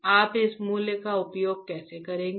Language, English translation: Hindi, How you will use this values